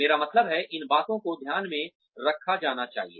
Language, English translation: Hindi, I mean, these things, should be taken into account